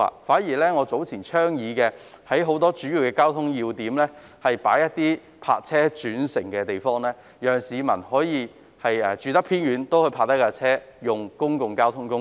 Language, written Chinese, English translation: Cantonese, 反之，我早前曾倡議在多個交通要點增設泊車轉乘設施，讓居於偏遠地區的市民可在停泊車輛後使用公共交通工具。, On the contrary I have earlier suggested that the provision of more park - and - ride facilities at a number of strategic locations so as to encourage people living in remote areas to take public transport after parking their cars